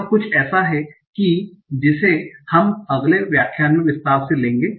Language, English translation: Hindi, So we will look at this in detail in the next lecture